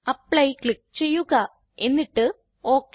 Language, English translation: Malayalam, Click on Apply and then click on OK